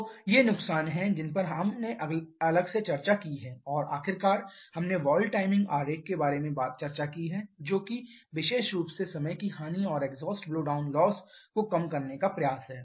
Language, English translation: Hindi, So, these are the losses that we have discussed separately and finally we have discussed about the valve timing diagram which is an effort to reduce the losses particularly the time loss and the exhaust blowdown loss